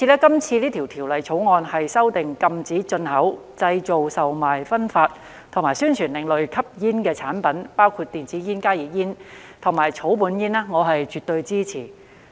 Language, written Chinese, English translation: Cantonese, 因此，《條例草案》禁止進口、製造、售賣、分發及宣傳另類吸煙產品，包括電子煙、加熱煙產品和草本煙，我是絕對支持的。, For this reason the Bill prohibits the import manufacture sale distribution and advertisement of alternative smoking products including e - cigarettes HTPs and herbal cigarettes and I absolutely support it